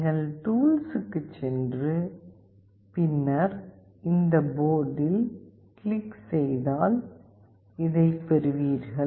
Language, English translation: Tamil, You go to tools and then you can click on this port and you will get this